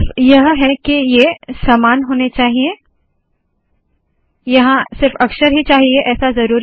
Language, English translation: Hindi, Its only that these have to be identical, these need not be characters